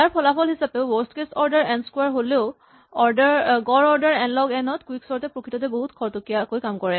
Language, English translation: Assamese, As a result of this because though it is worst case order n squared, but an average order n log n, quicksort is actually very fast